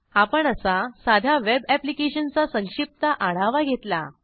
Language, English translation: Marathi, So, this is the overview of this simple web application